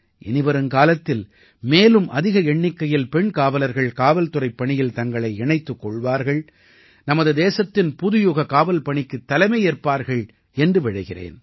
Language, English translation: Tamil, I hope that more women will join the police service in future, lead the New Age Policing of our country